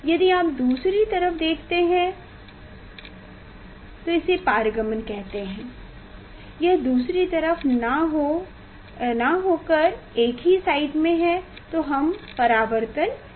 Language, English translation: Hindi, If you see the other side then it s a its the we tell this the transmission, it s a other side in a same side then we tell the deflection